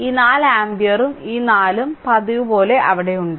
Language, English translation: Malayalam, And this 4 ampere and this 4 as usual it is there right